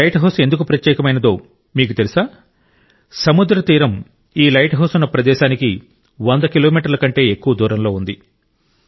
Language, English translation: Telugu, It is special, because now the sea coast is more than a hundred kilometers away from where this light house is